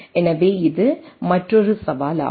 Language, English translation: Tamil, So, this is the another challenge right